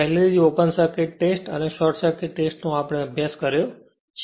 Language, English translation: Gujarati, Already we have studied open circuit test and short circuit right